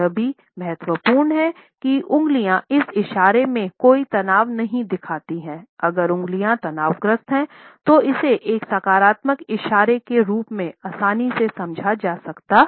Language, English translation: Hindi, It is also important that fingers do not show any tension in this gesture, if the fingers are tense then it can be understood easily as a negative gesture